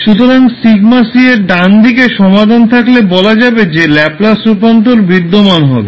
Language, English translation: Bengali, So, right side of sigma c if you have the solution then you will say that your Laplace transform will exist